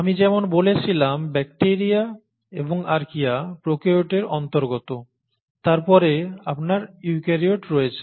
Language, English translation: Bengali, As I said bacteria and Archaea belong to prokaryotes, right